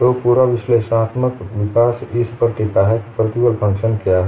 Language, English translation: Hindi, So, the whole of analytical development hinges on what is the stress function phi